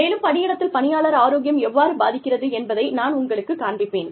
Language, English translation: Tamil, And, i will show you, how that affects, employee health in the workplace